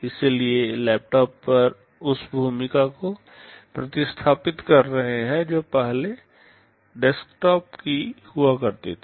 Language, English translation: Hindi, So, laptops are replacing the role that desktops used to have earlier